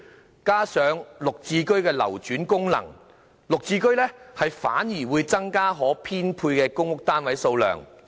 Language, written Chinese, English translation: Cantonese, 再加上"綠置居"的流轉功能，"綠置居"反而會增加可編配的公屋單位數量。, On top of that with its circulation function GSH would increase the number of PRH units available for allocation